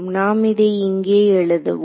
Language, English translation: Tamil, So, so, we will let us write this down over here